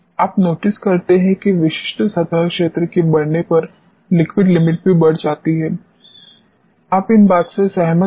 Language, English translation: Hindi, What you notice is as a specific surface area increases liquid limit increases you agree with these trends